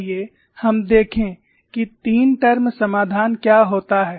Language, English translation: Hindi, Let us look at what happens to three term solution